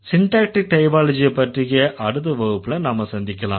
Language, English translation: Tamil, We'll meet again with discussions on syntactic typology in the next session